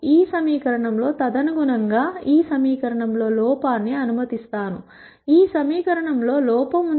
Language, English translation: Telugu, In this equation correspondingly I allow an error in this equation, I have error in this equation